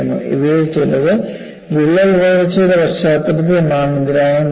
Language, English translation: Malayalam, We have already seen in some of these, in the context of crack growth